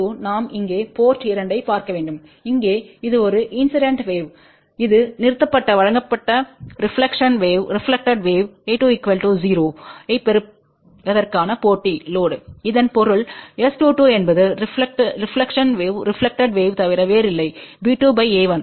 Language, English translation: Tamil, S 22 we have to look at the port 2 here what it shows here this is a incident wave, this is the reflected wave provided this is terminated with the match load to get a 1 equal to 0 so that means, S 22 is nothing but a reflected wave which is b 2 divided by a 2